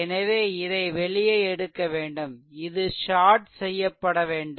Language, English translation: Tamil, So, this has to be removed and this has to be shorted